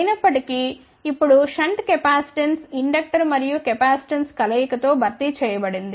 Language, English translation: Telugu, However, the shunt capacitance is now replace by a combination of inductor and capacitance